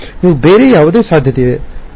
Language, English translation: Kannada, Can you think of any other possibility